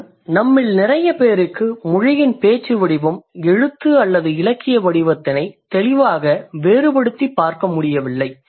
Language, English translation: Tamil, Also, a lot of us we do not really clear, like we are not able to clearly differentiate between language in the spoken form and language through writing or the literature form